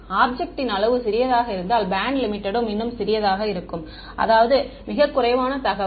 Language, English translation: Tamil, If the object size is small then the band limit is even smaller so; that means, as very little information